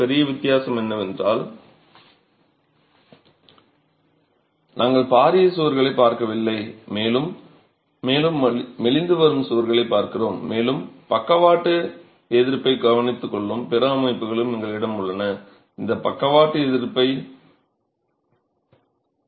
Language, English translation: Tamil, We are looking at walls that are becoming more and more slender and we have other systems that take care of the lateral resistance that the lateral resistance that the building is required to provide